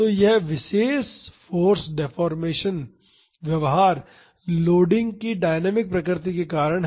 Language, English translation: Hindi, So, this particular force deformation behavior is due to the dynamic nature of the loading